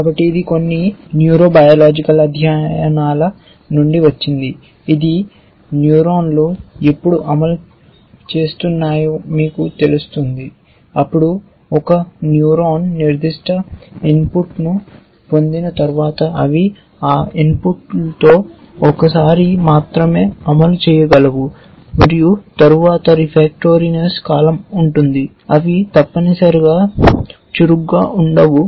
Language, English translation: Telugu, So, this comes from some neurobiological studies which says that, you know when neurons are firing then once a neuron gets certain set of input they can only fire once with that input and then there is a period of refractoriness in which they do not, they are not active at all essentially